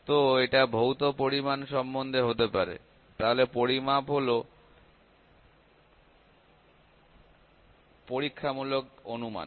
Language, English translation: Bengali, So, it is can it is about the physical quantities; so, measurement is the experimental estimation of parameters